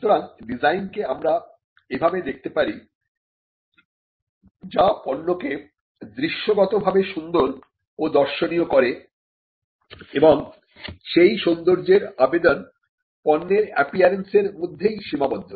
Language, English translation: Bengali, So, we understand the design as something, which makes a product aesthetically appealing, what is visually appealing or aesthetically appealing and the aesthetic appeal does not go beyond the appearance